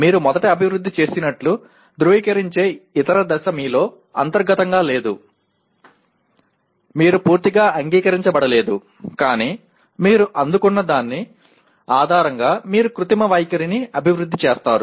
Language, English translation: Telugu, Then the other stage that comes confirming you first develop it is not internalizing in you, you are not completely accepted but based on what you have received you develop an artificial attitude